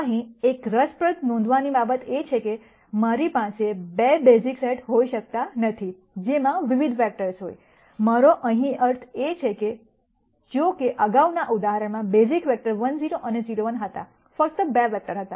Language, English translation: Gujarati, An interesting thing to note here though is that, I cannot have 2 basis sets which have di erent number of vectors, what I mean here is in the previous example though the basis vectors were 1 0 and 0 1, there were only 2 vectors